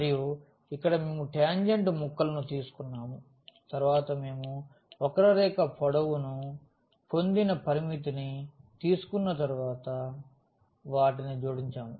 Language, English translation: Telugu, And, and here we have taken the pieces of the tangent and then we have added them after taking the limit we got the curve length